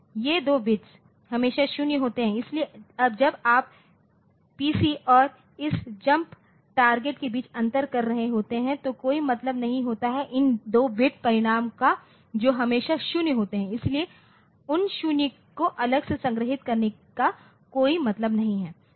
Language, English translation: Hindi, So, there is no point when you are taking the difference between the PC and this the jump target so, this least significant 2 bit results are always 0 so, there is no point storing those zeros separately